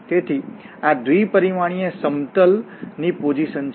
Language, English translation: Gujarati, So, this is the situation in 2d plane